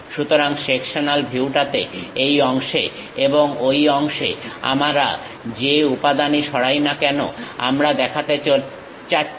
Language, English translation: Bengali, The sectional view, so whatever the material we have removed this part and that part, we would like to show